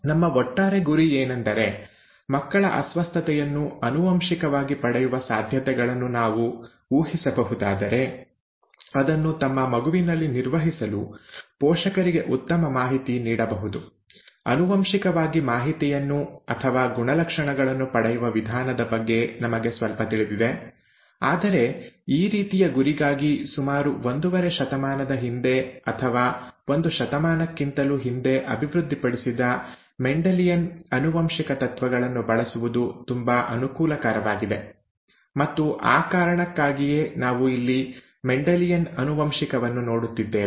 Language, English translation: Kannada, Our overall aim was that if we can predict a child’s chances to inherit the disorder, the parents can be better informed to handle it in their child, we know quite a bit about the way the information is inherited or the , the characteristics are inherited and so on, whereas for this kind of an aim, the principles of Mendelian Genetics which were developed about a century and a half ago, or more than a century ago, are very convenient to use; and that is the reason why we are looking at Mendelian Genetics here